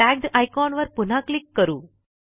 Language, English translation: Marathi, Lets click on the icon Tagged again